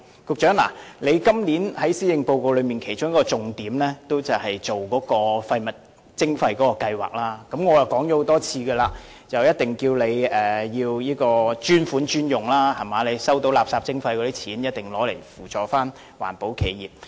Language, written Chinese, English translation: Cantonese, 局長，你今年在施政報告的其中一個重點，就是廢物徵費計劃，我已多次告訴你要專款專用，收到廢物徵費的款項後，必須用以扶助環保企業。, Secretary one of the major initiatives from your Bureau this year in the Policy Address is the waste charging scheme . I have advised you on many occasions that you need to make use of this special levy for special purpose . For the waste charges collected you must use them for assisting environmental protection enterprises